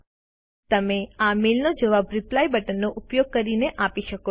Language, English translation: Gujarati, You can reply to this mail, using Reply button